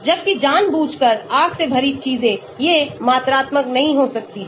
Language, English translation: Hindi, whereas things like deliberate full of fire, these cannot be quantifiable